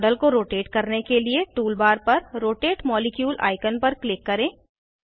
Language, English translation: Hindi, To rotate the model, click on the Rotate molecule icon on the tool bar